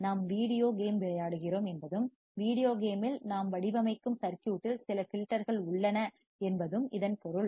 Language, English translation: Tamil, Is it means that we are playing a videogame and in the videogame the circuit that we are designing has some filters in it